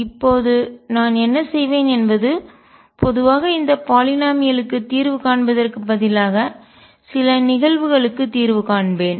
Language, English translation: Tamil, And now what I will do is instead of solving for this polynomial in general I will build up solution for certain cases